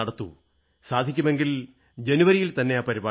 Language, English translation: Malayalam, If possible, please schedule it in January